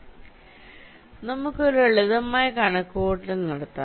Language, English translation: Malayalam, so lets make a simple calculation